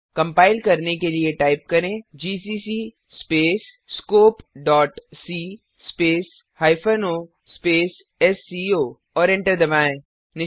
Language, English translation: Hindi, To compile type, gcc space scope.c space hyphen o space sco and press enter